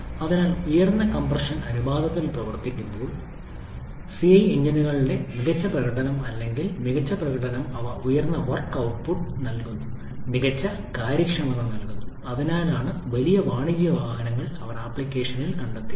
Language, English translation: Malayalam, So, the advantage of CI engines or superior performance because they work at higher compression ratio, they give higher work output, much better efficiency and that is why they found application in bigger commercial vehicles